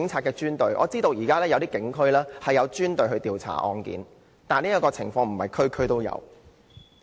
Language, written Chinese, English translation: Cantonese, 據我所知，現時一些警區設有專隊負責調查相關案件，但不是每區都有。, As far as I know some police districts but not all have currently set up a specialized team to investigate related cases